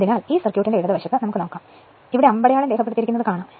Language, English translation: Malayalam, So, left side of this circuit we will see this that is why arrow is marked like this left side of this one right